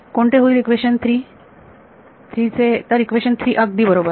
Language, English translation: Marathi, Equation 3 what becomes of equation 3; so, equation 3 alright